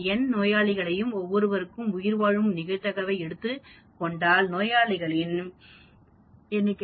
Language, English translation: Tamil, If I take n patients and survival probability for each of the patient is 0